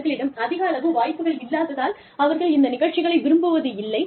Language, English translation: Tamil, They do not like programs, that do not have, too much choice